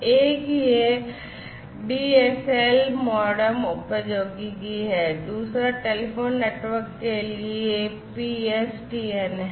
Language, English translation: Hindi, So, one is this DSL, MODEM Technology and the PSTN for telephone networks, right